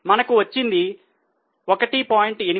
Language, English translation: Telugu, So, we are getting 1